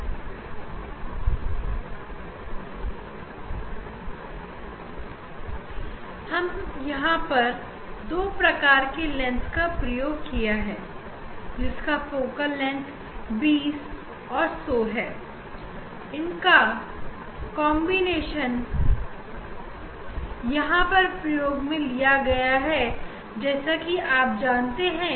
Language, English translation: Hindi, And, here we have used two lens their focal length is their focal length is 20 and 100 this combination of two lens we have taken is here this it is a double slit you know